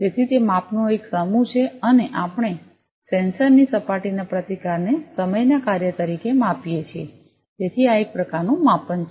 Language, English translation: Gujarati, So, that is one set of measurement and we measure the surface resistance of the sensor, as a function of time so this is one type of measurement